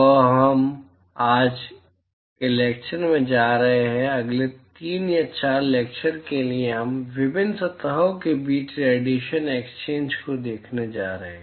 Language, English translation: Hindi, So, now, we are going to, from today’s lecture, for the next three or four lectures, we are going to look at radiation exchange between different surfaces